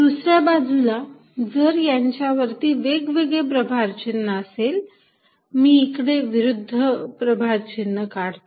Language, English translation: Marathi, On the other hand, if they are at opposite sign, so let me write opposite out here